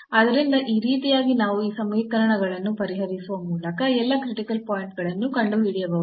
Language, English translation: Kannada, So, in this way we can find all the critical points by solving these equations